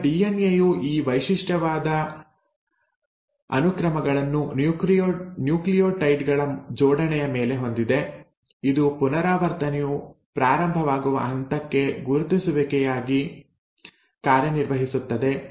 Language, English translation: Kannada, Now DNA has these signature sequences on its arrangement of nucleotides, which act as recognition for a point where the replication has to start